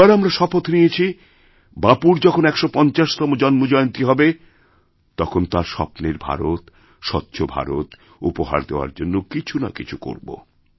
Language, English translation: Bengali, And, all of us took a resolve that on the 150th birth anniversary of revered Bapu, we shall make some contribution in the direction of making Clean India which he had dreamt of